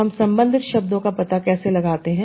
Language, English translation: Hindi, So how do we find out the related terms